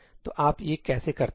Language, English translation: Hindi, So, how do you do this